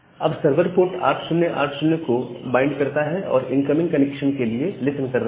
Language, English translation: Hindi, So, the server is now say bind that port 8080, and it is listening for the incoming connection